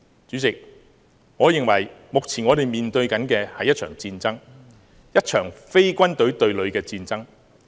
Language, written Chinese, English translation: Cantonese, 主席，我認為目前我們面對的是一場戰爭，一場非軍隊對疊的戰爭。, President I think we are facing a war here a war that does not involve the confrontation of troops